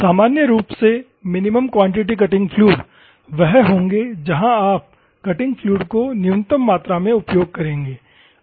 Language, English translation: Hindi, The minimum quantity cutting fluid normally will have where you will use the minimum amount of cutting fluid